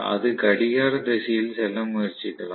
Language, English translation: Tamil, So it may try to move in the anti, the clockwise direction